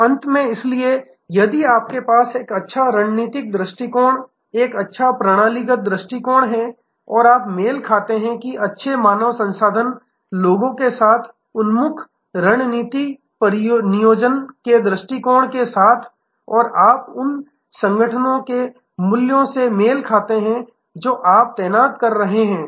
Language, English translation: Hindi, So, finally, therefore, if you have a good strategic approach and a good systemic approach and you match, that with good human resource people oriented strategy deployment approach and you match the organizations values culture with the technology that you are deploying